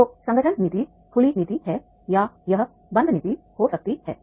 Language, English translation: Hindi, So organization policy is the open policy or it can be the closed door policy